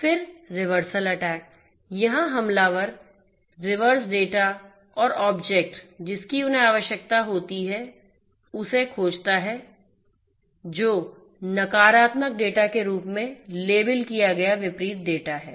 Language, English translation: Hindi, Then, reversal attack; here, the attacker searches the reverse data and object they need by searching for the opposite data that is labeled as negative